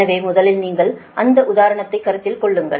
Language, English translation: Tamil, so first you consider that example one, only only one